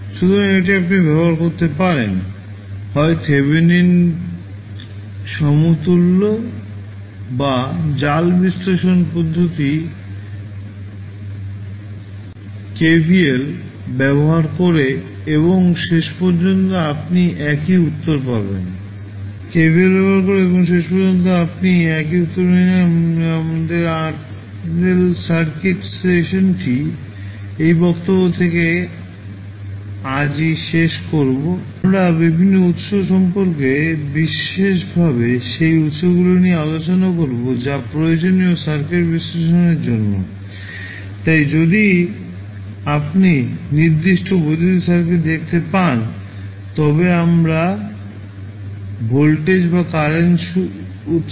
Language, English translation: Bengali, So in this you can use either Thevenin equivalent or the mesh analysis method, using Kirchhoff voltage law and you will get eventually the same answer so, we close our RL circuit session today from this point in the next lecture we will discuss about the various sources specially those sources which are required for the analysis of the circuit so, if you see the particular electrical circuit we apply either voltage or current source so, when you apply voltage or current source those are suddenly apply to the circuit